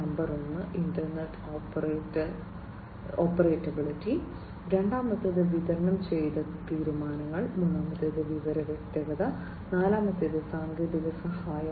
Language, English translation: Malayalam, Number one is interoperability, second is distributed decision making, third is information clarity, and fourth is technical assistance